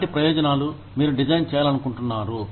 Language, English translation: Telugu, What kind of benefits, you want to design